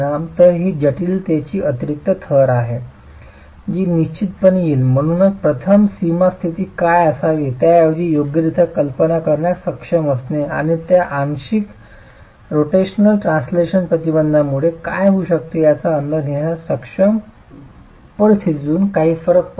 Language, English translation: Marathi, So, this is an additional layer of complexity that would definitely come in and therefore first being able to idealize rather correctly what the boundary conditions should be and if there is significant deviation from idealized conditions being able to estimate what those partial rotational translation restraints could be is the other aspect that needs to be looked at